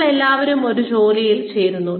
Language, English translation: Malayalam, We all join a job